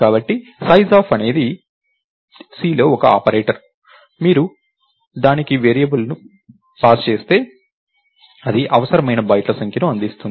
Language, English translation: Telugu, is an operator in C, if you pass a variable to it, it will return the number of bytes required